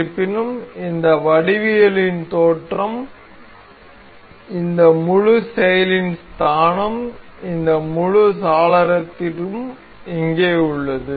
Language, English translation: Tamil, However the origin of this geometry, origin of this whole play this whole window is here